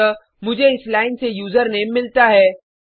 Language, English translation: Hindi, So I get the username from this line